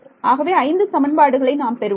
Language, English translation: Tamil, So, I should get 5 equations